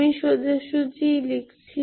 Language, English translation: Bengali, I am writing directly